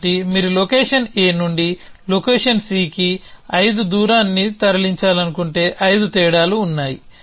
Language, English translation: Telugu, So, if you want lets a move 5 dist from location A to location C then there are 5 differences